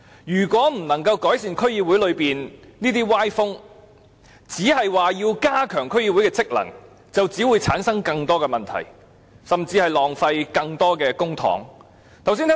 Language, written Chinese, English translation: Cantonese, 如果不改善區議會這些歪風，而只是加強區議會的職能，只會產生更多問題，甚至浪費更多公帑。, If the functions of DCs are enhanced while this undesirable trend is not rectified more problems will arise and more public funds will be wasted